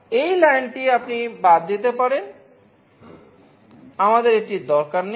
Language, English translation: Bengali, This line you can omit we do not need this